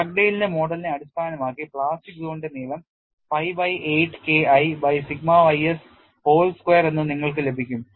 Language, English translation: Malayalam, Based on Dugdale’s model, you get the length of the plastic zone as pi by 8 K1 by sigma y s whole square and if you really calculate the value of pi by 8 it reduces to 0